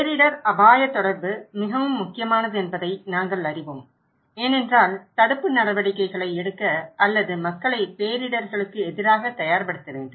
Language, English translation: Tamil, We know that disaster risk communication is very important because we need to motivate people to take preventive actions or preparedness against disasters